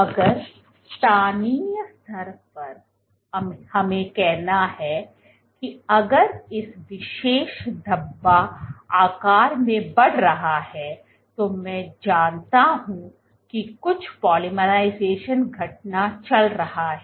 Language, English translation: Hindi, So, if locally at let us say if this particular speckle is growing in size then I know other there is some polymerization event going on